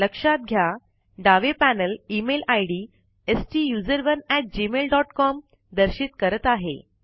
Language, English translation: Marathi, Note, that the left panel now displays the Email ID STUSERONE at gmail dot com